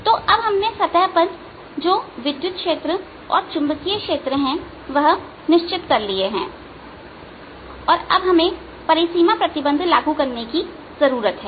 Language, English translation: Hindi, so we have set up what the electric field and magnetic fields are at the boundary and now we need to apply the conditions